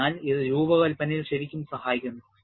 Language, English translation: Malayalam, So, it really helps in design